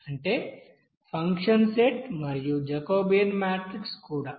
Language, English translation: Telugu, That means function set of you know function and also Jacobian matrix